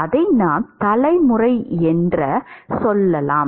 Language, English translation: Tamil, We can call it generation term